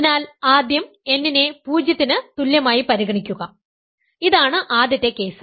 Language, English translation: Malayalam, So, first consider n equal to 0, this is the obvious case first case